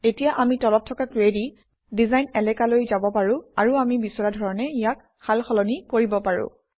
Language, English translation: Assamese, Now we can go to the query design area below and change it any way we want